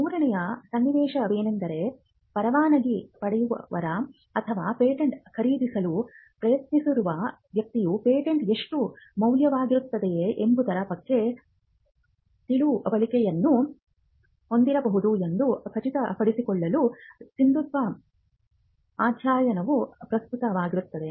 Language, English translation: Kannada, The third scenario where a validity study will be relevant is to ensure that licensee or a person who is trying to buy out patent can have an understanding on how much the patent is worth